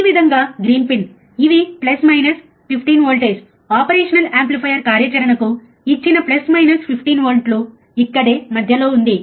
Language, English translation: Telugu, This way green pin these are plus minus 15 voltage, plus minus 15 volts given to the operation amplifier operational affair is, right over here in the center, right is in the center